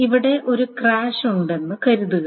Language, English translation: Malayalam, And suppose there is a crash here